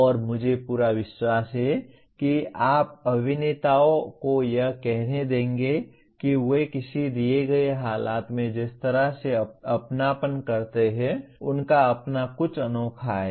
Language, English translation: Hindi, And I am sure you will find let us say actors the way they emote in a given situation there is something unique of their own